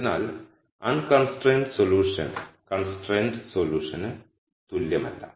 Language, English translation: Malayalam, So, the unconstrained solution is not the same as the constrained solution